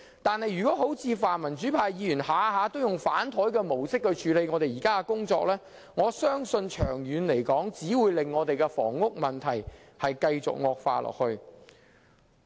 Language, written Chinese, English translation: Cantonese, 但是，如果像泛民主派議員般，動輒便以"反檯"的方式處理現時的工作，我相信長遠只會令房屋問題繼續惡化。, However if pan - democratic Members continue to adopt the present practice in handling the work that is opposing every measure the housing problem will worsen in the long run